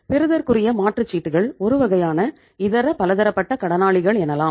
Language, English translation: Tamil, Bills receivable are again some sort of sundry debtors